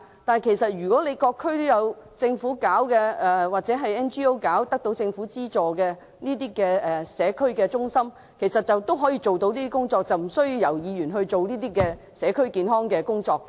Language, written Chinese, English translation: Cantonese, 不過，政府的社區中心或獲政府資助由非牟利機構營運的社區中心其實也可以做到上述工作，無需由議員推行社區健康工作。, But since government community centres or government - subsidized community centres operated by non - profit - making organizations can actually do the above work Members need not take up the task of health promotion in communities